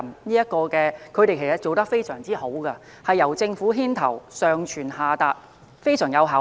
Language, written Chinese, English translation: Cantonese, 內地在這方面其實做得非常好，是由政府牽頭，上傳下達，非常具效率。, Honestly the Mainland has done very well in this regard with the government taking the lead and everything communicated top down in an efficient manner